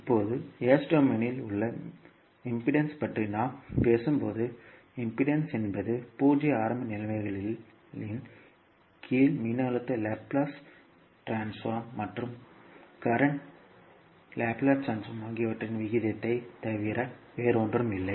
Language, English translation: Tamil, Now, when we talk about the impedance in s domain so impedance would be nothing but the ratio of voltage Laplace transform and current Laplace transform under zero initial conditions